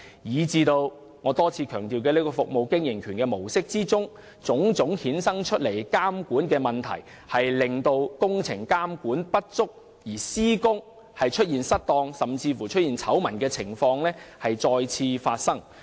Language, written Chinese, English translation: Cantonese, 結果，我多次強調的"服務經營權"模式所衍生的種種監管問題，令工程監管不足，導致施工失當的醜聞再次發生。, Consequently the various regulatory problems arising from the concession approach repeatedly stressed by me have resulted in inadequate regulation of construction works and led to another construction malpractice scandal